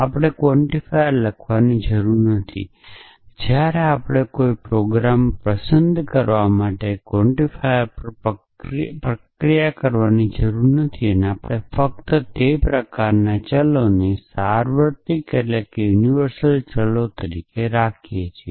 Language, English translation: Gujarati, So, that we do not have to write the quantifier we do not have to process the quantifier when we are liking a program to do that we can just keep those kind of variables as universal variables